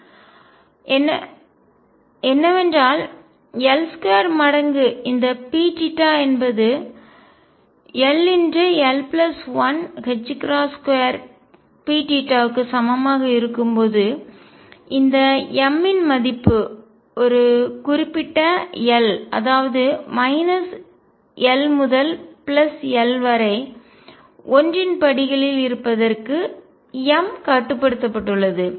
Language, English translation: Tamil, What is found is that when L square times this p theta is equal to l, l plus 1, h cross square P theta then the value of m; m is restricted to for a given l to being from minus l to plus l in steps of one